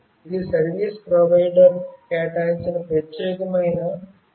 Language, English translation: Telugu, This is a unique 15 digit number assigned by the service provider